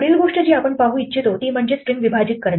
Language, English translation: Marathi, The next thing that we want to look at is splitting a string